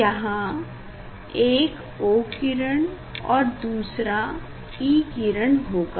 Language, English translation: Hindi, one is for O ray and another is for E ray